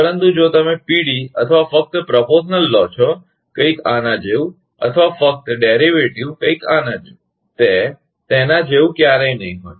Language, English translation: Gujarati, But if you take PD or only proportional, something like this or only, derivative something like this, it will never be like that